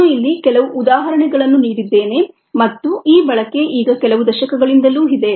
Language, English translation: Kannada, i have given a few examples here and this use has been for ah a few decades now